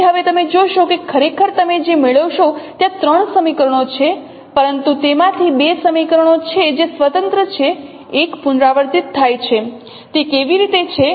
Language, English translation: Gujarati, So now you see that there are actually three equations what you get but out of them there are two equations which are independent